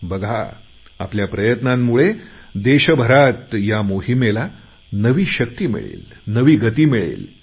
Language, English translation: Marathi, You will see that with our joint efforts, this movement will get a fresh boost, a new dynamism